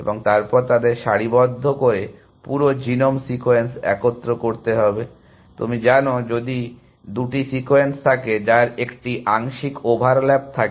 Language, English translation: Bengali, And then they have to assemble the whole genome sequence by aligning, you know, if there are two sequences which have a partial overlap